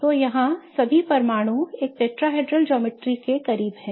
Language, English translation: Hindi, So, you can imagine that all the atoms here are close to a tetrahedral geometry